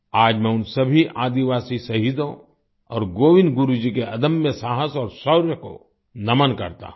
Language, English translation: Hindi, Today I bow to all those tribal martyrs and the indomitable courage and valor of Govind Guru ji